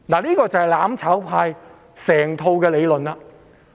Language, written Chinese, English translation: Cantonese, 這就是"攬炒派"的整套理論。, This is the overall theory of the mutual destruction camp